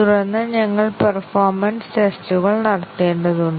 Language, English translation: Malayalam, And then we need to carry out the performance tests